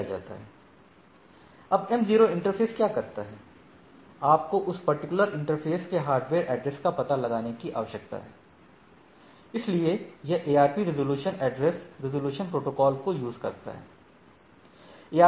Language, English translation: Hindi, Now, what m0 interface, in order to go to this m0, what it has do, you need to find out the hardware address of that particular interface so, it does a ARP resolution, address resolution protocol right